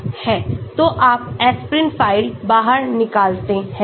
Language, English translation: Hindi, so you get the aspirin out file